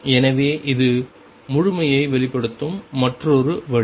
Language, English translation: Tamil, So, this is another way of expressing completeness